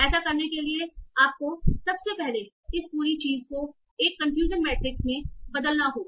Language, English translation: Hindi, For doing that, the first thing you need to do is to convert this whole thing into a confusion matrix